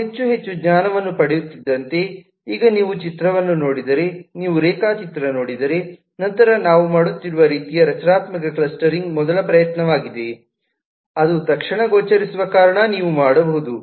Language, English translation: Kannada, so, as we get more and more knowledge now, if you just look at the picture, if you just look at the diagram, then the kind of structural clustering that we had been doing is a first attempt that you can make because it is immediately visible